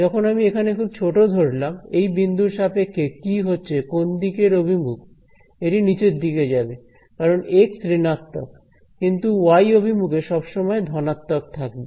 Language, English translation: Bengali, When I come to very small over here, what about this point over here, which way will it point if it going to point downwards right because x is negative, but it is always going to be pointing in the plus y direction right